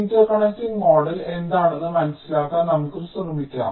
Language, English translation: Malayalam, ah, let me try to understand what interconnecting model is all about